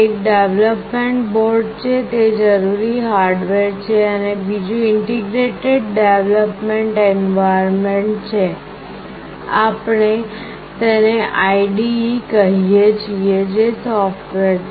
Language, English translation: Gujarati, One is the development board, that is the hardware that is required, and another is Integrated Development Environment, we call it IDE that is the software